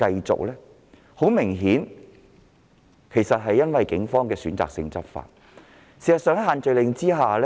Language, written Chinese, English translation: Cantonese, 這顯然是由於警方選擇性執法所致。, This is obviously a result of selective law enforcement on the part of the Police